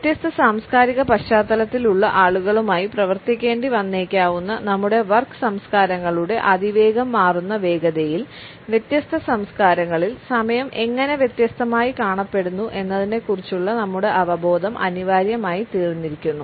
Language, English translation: Malayalam, In the fast changing pace of our work cultures where we may have to work with people from different cultural background, our awareness of how time is perceived differently in different cultures has become almost a must